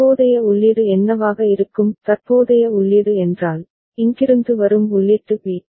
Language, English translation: Tamil, And what will be the current input; current input means, input bit that is coming from here